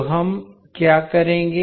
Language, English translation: Hindi, So what we will do